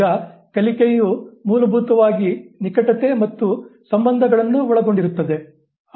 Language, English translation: Kannada, Now learning basically involves associations, relationships